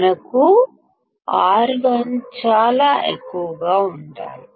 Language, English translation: Telugu, We should have R1 as extremely high